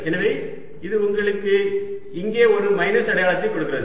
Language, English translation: Tamil, so this gave you a minus sign here